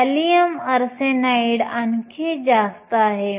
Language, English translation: Marathi, Gallium arsenide is even higher